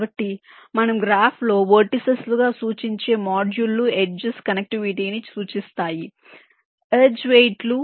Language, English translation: Telugu, so modules: we represent as vertices in the graph, while the edges will indicate connectivity, the edge weights